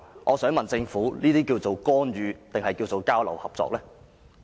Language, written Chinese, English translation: Cantonese, 我想問政府，對於這些情況，應該稱為干預，還是交流合作？, Can the Government tell me whether this is interference or exchanges and cooperation?